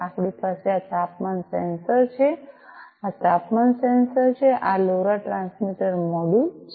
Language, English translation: Gujarati, We have this temperature sensor this one this is the temperature sensor this is this LoRa transmitter module